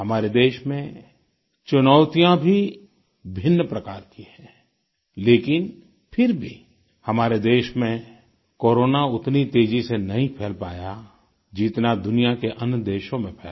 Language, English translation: Hindi, The challenges facing the country too are of a different kind, yet Corona did not spread as fast as it did in other countries of the world